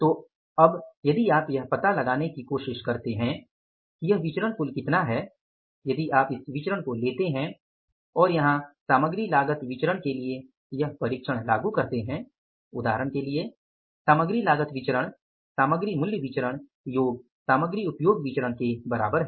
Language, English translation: Hindi, So now if you try to find out that what is this variance total if you take this variance and if you apply the test here for the material cost variance you apply the test here for example MCB is equal MPB plus MUB